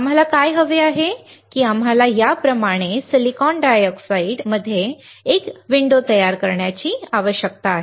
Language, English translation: Marathi, What we want is that we need to create a window in SiO2 like this